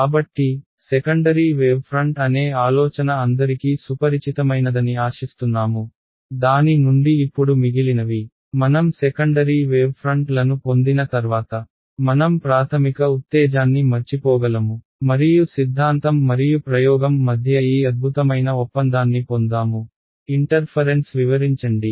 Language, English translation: Telugu, So, hopefully this is familiar to all of you the idea of a secondary wave front from which now the rest of the, once I get the secondary wave fronts I can forget about the primary excitation and I get this excellent agreement between theory and experiment to explain the interference ok